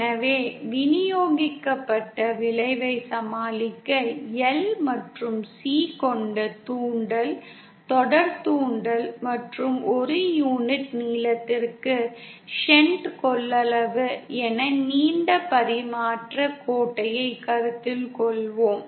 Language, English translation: Tamil, So to deal with a distributed effect, let us consider a long transmission line which has L and C as an inductance, series inductance and shunt capacitances per unit length